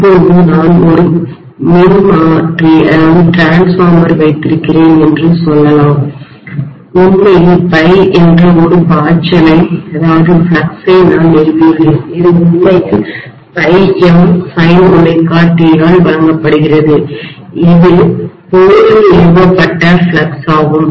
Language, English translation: Tamil, Now let us say I have a transformer and I have established a flux of phi which is actually given by some phi m sine omega t, this is the flux that is established in the core